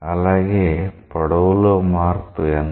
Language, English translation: Telugu, So, what is that change in length